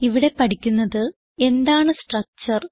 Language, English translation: Malayalam, In this tutorial we will learn, What is a Structure